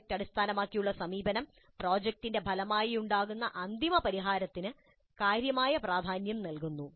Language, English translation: Malayalam, Project based approach attaches significant importance to the final solution resulting from the project